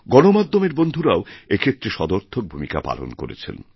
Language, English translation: Bengali, Friends in the media have also played a constructive role